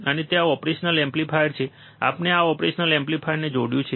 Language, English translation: Gujarati, And there are there is a operational amplifier, we have connected this operational amplifier